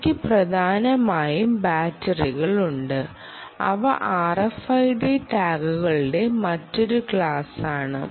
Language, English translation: Malayalam, these essentially have batteries and, ah, they are another class of r f id tags